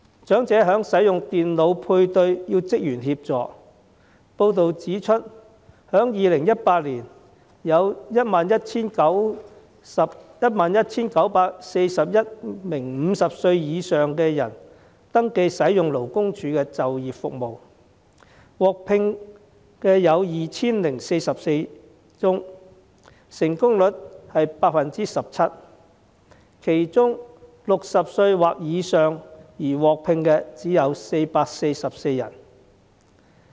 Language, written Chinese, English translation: Cantonese, 長者使用電腦配對需要職員協助，報道指出在2018年有 11,941 名50歲以上的人士登記使用勞工處的就業服務，獲聘的有 2,044 宗，成功率是 17%； 其中 ，60 歲或以上而獲聘的只有444人。, The elderly need the assistance of staff in using the computer for job matching . According to a report in 2018 there were 11 941 persons aged 50 or above registered for the employment services under LD with 2 044 placements secured and a successful rate of 17 % . Among these placements only 444 persons are aged 60 or above